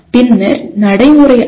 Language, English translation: Tamil, Then procedural knowledge